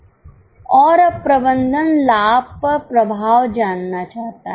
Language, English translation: Hindi, And now management wants to know the impact on profit